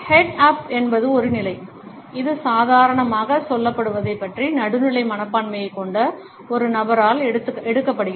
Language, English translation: Tamil, Head up is a position, which is taken up by a person who normally, has a neutral attitude about what is being said